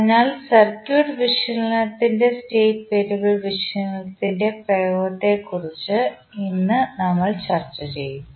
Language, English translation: Malayalam, So, today we will discuss about the application of state variable analysis in the circuit analysis